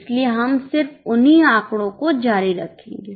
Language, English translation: Hindi, So, we will just continue with the same figures